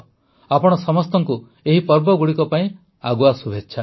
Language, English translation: Odia, Advance greetings to all of you on the occasion of these festivals